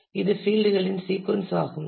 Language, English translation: Tamil, It is a sequence of fields